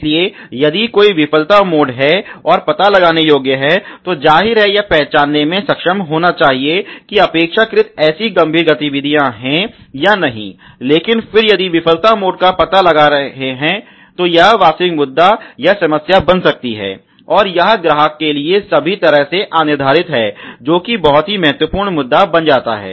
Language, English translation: Hindi, So, a if there is a failure mode and is detectable then obviously which should be able to recognize that to relatively not such a serious activities, but then is if there is a failure mode were detection become real issue or a real problem, and it can go undetected to all way to the customer that becomes a very, very critical issue